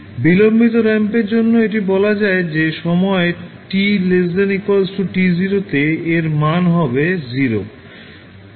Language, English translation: Bengali, For delayed ramp you will say that for time t less than or equal to t naught the value would be 0